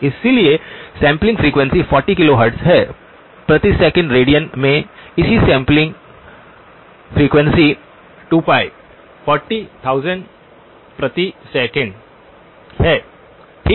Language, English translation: Hindi, So sampling frequency is 40 kilohertz, the corresponding sampling frequency in radians per second is 2pi times 40 kilo radians per second okay